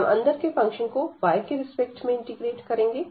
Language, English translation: Hindi, So, we will integrate this the inner one with respect to y